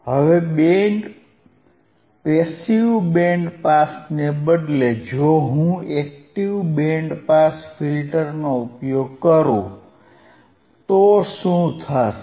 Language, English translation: Gujarati, Now instead of passive band pass, if instead of passive band pass if I use if I use a active band pass filter if I use an active band pass filter,